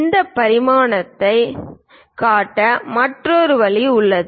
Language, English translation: Tamil, There is other way of showing these dimension